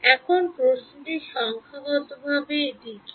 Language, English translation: Bengali, Now the question is numerically what is it